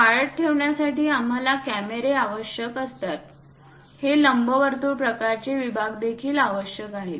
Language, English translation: Marathi, For surveillance, cameras also we require this elliptical kind of sections